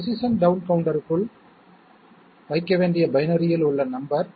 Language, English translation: Tamil, Number in binary to be put inside the position down counter, okay